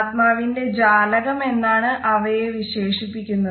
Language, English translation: Malayalam, They have been termed as a windows to our souls